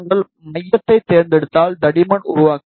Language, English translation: Tamil, And for creating thickness, since we selected center